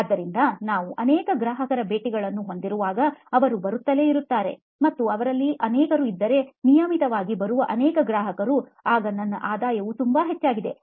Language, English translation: Kannada, So when we have many customer visits, if they keep coming, and there are many of them, many of the customers who are coming in regularly, then my revenue is very high